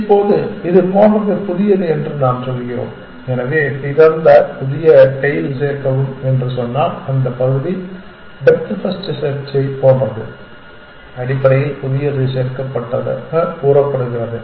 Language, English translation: Tamil, Now, we are saying is that something like this sort on happened new, so if I say append new tail of open that part is like depth first search essentially that new is added at the assuming append